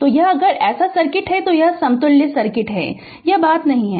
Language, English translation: Hindi, So, this if it is so so this is the equivalent circuit I told you this this thing will not be there